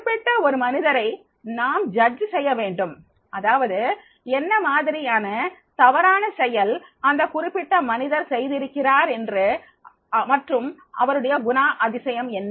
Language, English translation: Tamil, You have to judge that particular person, that is the what type of the misconduct that particular person has done and what type of the personality he is having